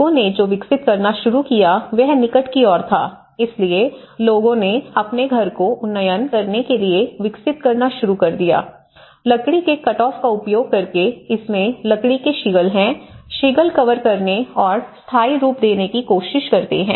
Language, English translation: Hindi, So, what people started developing was thereby towards the near, so people started developing to upgrade their house, using the timber off cuts you know what you can see is the timber shingles, where shingles they try to cover with that and make more of a permanent look